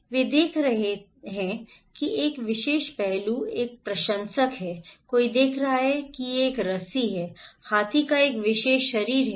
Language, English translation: Hindi, They are looking one particular aspect is a fan, someone is looking it is a rope, a particular body of the elephant